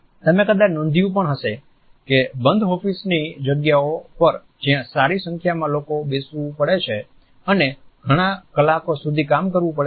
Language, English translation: Gujarati, You might have also noticed that in close offices spaces also, where a good number of people have to sit and work for long hours